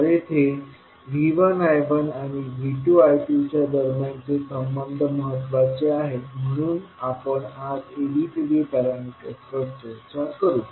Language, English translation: Marathi, So here the relationship between V 1 I 1 and V 2 I 2 is important so we will discuss the ABCD parameters today